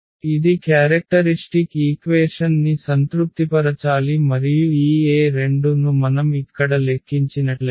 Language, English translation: Telugu, So, this should satisfy the characteristic equation and if we compute this A square that is coming to be here